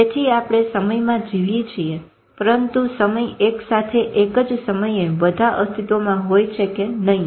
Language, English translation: Gujarati, So we live in time but whether time is existing all at the same time in a simultaneous operation